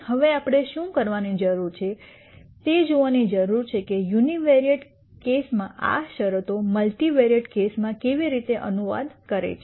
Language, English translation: Gujarati, Now, what we need to do is we need to see how these conditions in the uni variate case translate to the multivariate case